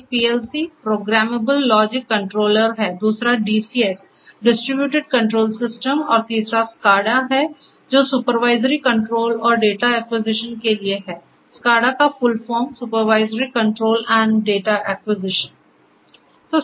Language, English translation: Hindi, One is the one is the PLC, the Programmable Logic Controller; second is the DCS, the Distributed Control Systems and the third is the SCADA which stands for Supervisory Control and Data Acquisition; Supervisory Control and Data Acquisition, SCADA